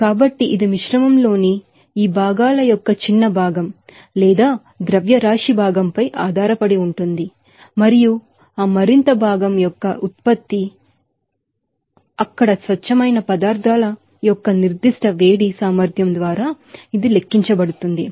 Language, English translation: Telugu, So, it depends on the smaller fraction or mass fraction of these components in the mixture and it can be calculated by you know, the product of that more fraction and the specific heat capacity of the pure substances there